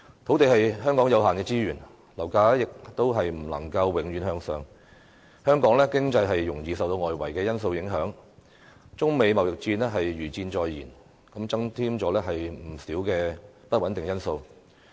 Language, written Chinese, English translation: Cantonese, 土地是香港有限的資源，樓價亦不能永遠向上升，香港經濟容易受到外圍因素影響，中美貿易戰如箭在弦，增添不少不穩定因素。, Land is a limited resource in Hong Kong property prices will not keep rising infinitely the Hong Kong economy is susceptible to external factors and the trade war between China and the United States is imminent giving rise to many uncertain factors